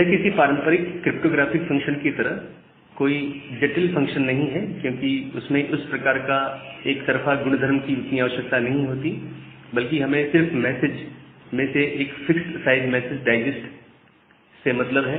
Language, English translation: Hindi, It is not a complicated hash function like our traditional cryptographic hash function, because we do not require that one way property that much rather we are just concerned about to get a fixed size message digest out of the message